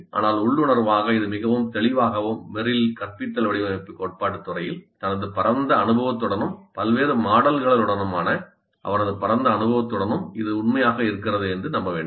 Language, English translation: Tamil, We do not have too much of empirical evidence to support this but intuitively it looks fairly clear and Merrill with this vast experience in the field of instructional design theory and with his vast experience with various models feels confident that by and large this is true